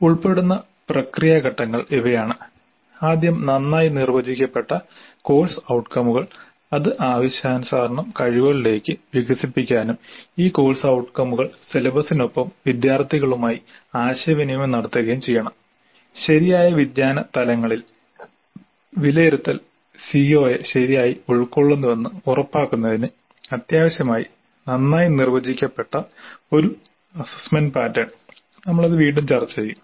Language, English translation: Malayalam, The process steps involved are first well defined course outcomes which can be expanded to competencies as required and these course outcomes are communicated to the students upfront along with the syllabus and a well defined assessment pattern that is essential to ensure that the assessment covers the COA properly at proper cognitive levels we will discuss that